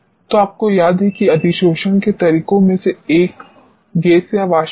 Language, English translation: Hindi, So, you remember one of the methods of adsorption was either gas or vapor